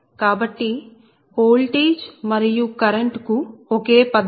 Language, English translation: Telugu, so voltage and current, same philosophy